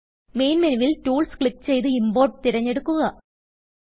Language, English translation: Malayalam, From the Main menu, click Tools and select Import